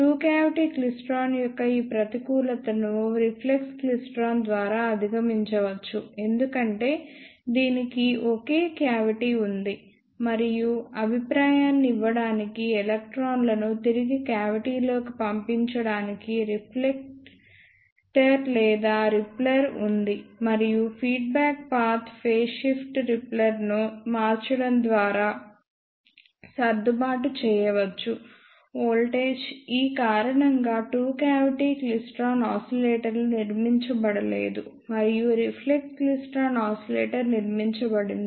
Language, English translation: Telugu, This disadvantage of two cavity klystron can be overcome by reflex klystron, because it has single cavity, and there is a reflector or repeller to repel the electrons back to the cavity to give feedback and the feedback path phase shift can be adjusted by varying the repeller voltage, because of this reason the two cavity klystron oscillators are not constructed and reflex klystron oscillator are constructed